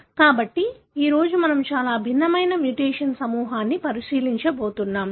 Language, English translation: Telugu, So, today we are going to look into a very different group of mutation